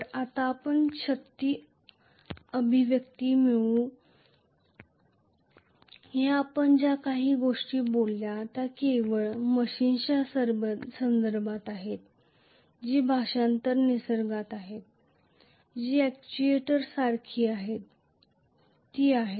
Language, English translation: Marathi, So, let us now having derived the force expression, all these whatever we talked about was with reference to only a machine which is translational in nature which is like an actuator, That is it